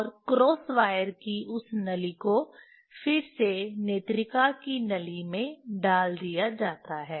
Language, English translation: Hindi, And that tube of the cross wire is again put in the tube of the eye piece